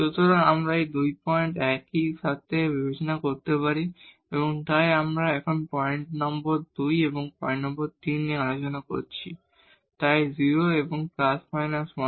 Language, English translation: Bengali, So, we can consider this to these 2 points together, so we are now discussing point number 2 and point number 3, so 0 and plus minus half